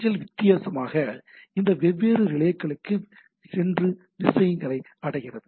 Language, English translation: Tamil, So, the mail goes on different goes to this different relays and reach the things